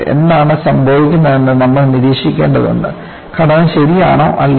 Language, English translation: Malayalam, You will have to monitor what happens; whether the structure is alright or not